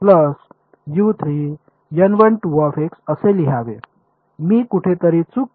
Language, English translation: Marathi, Have I made a mistake somewhere